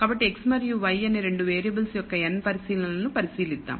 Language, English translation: Telugu, So, let us consider n observations of 2 variables x and y